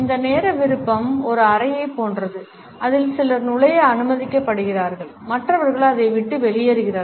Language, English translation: Tamil, He has suggested that this time preference is like a room in which some people are allowed to enter while others are kept out of it